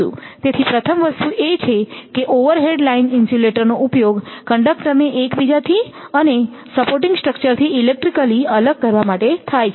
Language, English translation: Gujarati, So, first thing is that that generally that, overhead line insulators are used to separate the conductors from each other if you and from the supporting structures electrically